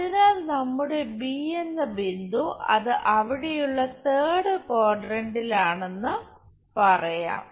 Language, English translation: Malayalam, So, our point b let us call its in the third quadrant there